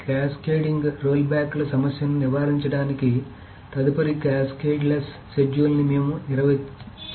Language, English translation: Telugu, So to avoid this problem of cascading rollbacks, we define what is next called a cascadless schedule